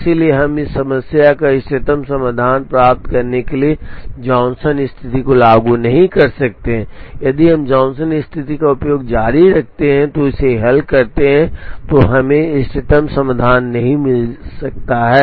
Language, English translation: Hindi, So, we cannot apply the Johnson condition to try and get the optimal solution to this problem, we may not get the optimum solution if we continue using the Johnson condition and solve it